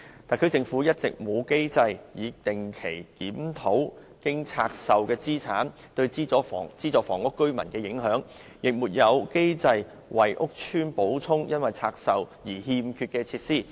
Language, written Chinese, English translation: Cantonese, 特區政府一直沒有機制定期檢討拆售後的資產對資助房屋居民的影響，亦沒有機制為屋邨補充因拆售而欠缺的設施。, Yet there have been no mechanisms for the Special Administrative Region SAR Government to regularly review the impact of the divestment to residents of subsidized housing nor is there a mechanism to replenish facilities of housing estates that are lacking due to the divestment